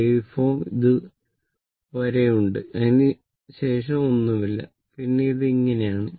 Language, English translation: Malayalam, So, wave form is there up to this after that nothing is there then it is like this